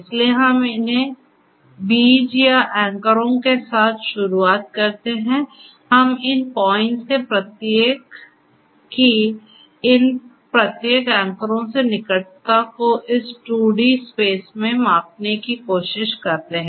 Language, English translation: Hindi, So, we start with these seeds or the anchors, we try to measure the proximity of each of these points in this space in this 2D space to each of these anchors